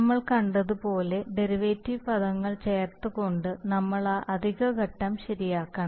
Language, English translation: Malayalam, So therefore you have to correct for that additional phase by adding derivative terms, as we have seen